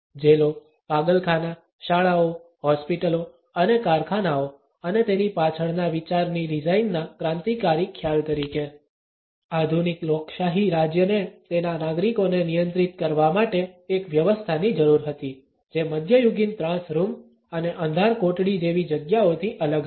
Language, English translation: Gujarati, As a revolutionary concept for the design of prisons, insane asylum, schools, hospitals and factories and the idea behind it, that the modern democratic state needed a system to regulate it citizens which was different from medieval torture rooms and dungeons